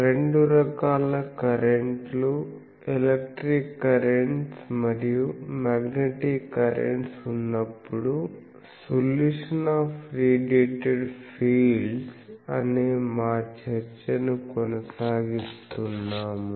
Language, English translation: Telugu, We are continuing our discussion on the solution of by Radiated fields when both types of current, Electric currents and Magnetic currents are there